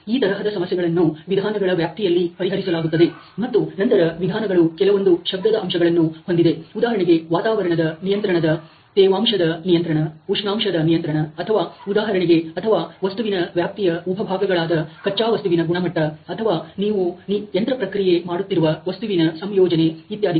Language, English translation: Kannada, So, these are the issues which would address in the methods area, and then the methods can also have also some noise factors like the humidity control, the temperature control which is the environment control or even let say the or even the sub part of the material area which may include the work piece material the quality of that material or the composition of the material that you are machining etcetera